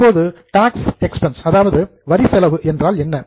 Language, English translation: Tamil, Now what do you mean by tax expense